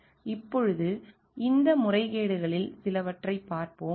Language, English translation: Tamil, Now, let us see some of these abuses